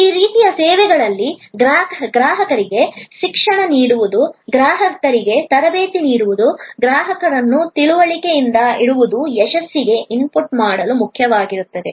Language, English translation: Kannada, In these types of services, educating the customer, training the customer, keeping the customer informed will be an important to input for success